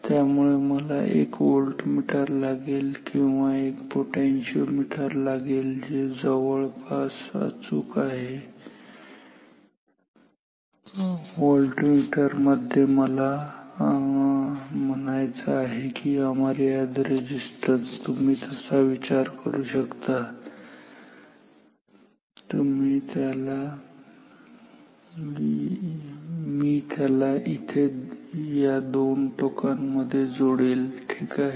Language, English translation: Marathi, So, I need a voltmeter or a potentiometer which is a near perfect volt meter I mean it is act with infinite resistance you can think of that I will connect here across these 2 terminals ok